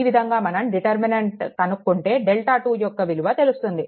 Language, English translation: Telugu, All you replace that, then you will get the delta 2